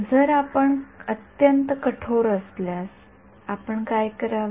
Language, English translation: Marathi, So, if you are very very strict what you should do